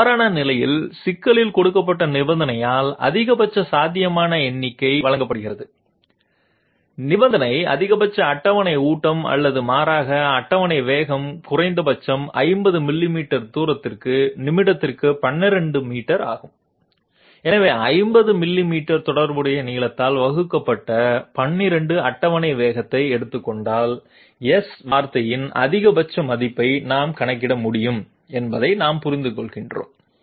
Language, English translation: Tamil, In that case, the maximum possible number is given by the condition given in the problem, the condition is the maximum table feed or rather table speed is 12 meters per minute for a minimum distance of 50 millimeters, so we understand that if we take a a table size sorry table speed of 12 divided by the corresponding length of 50 millimeters, we will be able to compute the maximum value of the S word